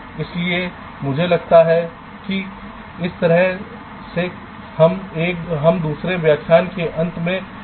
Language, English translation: Hindi, ok, so i think with this way we come to the end of this second lecture